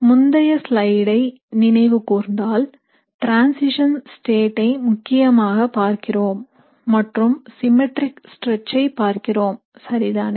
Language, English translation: Tamil, And if you remember from the previous slide, what we are essentially looking at is this transition state and we are looking at the symmetric stretch, right